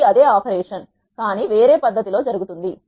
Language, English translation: Telugu, This is same operation, but done in a different fashion